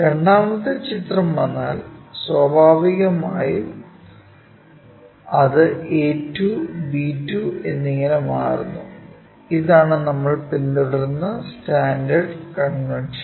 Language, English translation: Malayalam, If the second picture comes, naturally it becomes a 2, b 2 and so on that that is the standard convention we follow it